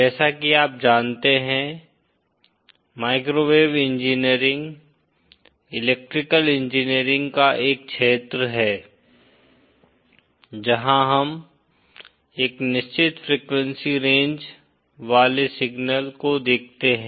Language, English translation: Hindi, As you know, microwave engineering is a field in Electrical engineering where we deal with signals having a certain frequency range